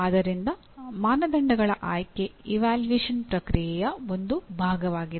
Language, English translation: Kannada, So selection of criteria itself is a part of evaluation process